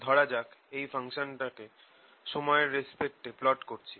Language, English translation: Bengali, suppose i plot this function with respect to time, at x is equal to zero